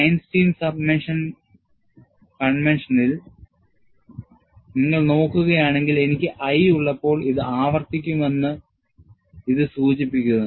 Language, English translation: Malayalam, If you look at the Einstein summation convention, when I have i i, this indicates, that this would repeat